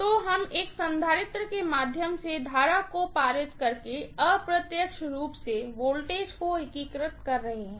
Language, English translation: Hindi, So, we are integrating the voltage indirectly by passing the current through a capacitor